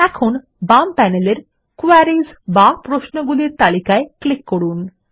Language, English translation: Bengali, Now, let us click on the Queries list on the left panel